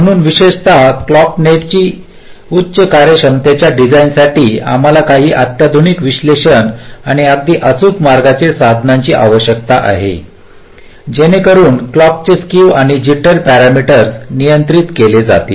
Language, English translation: Marathi, ok, so for high performance design, particularly for the clock net, we need some sophisticated analysis and very accurate routing tools so as to control the skew and jitter ah parameters of the clock